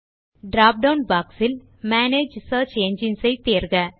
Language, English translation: Tamil, In the drop down box, select Manage Search Engines